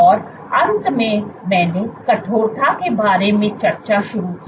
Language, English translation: Hindi, And towards the end I started discussing about stiffness